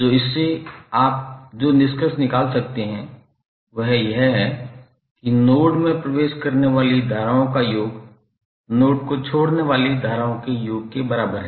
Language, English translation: Hindi, So from this, what you can conclude, that the sum of currents entering the node is equal to sum of currents leaving the node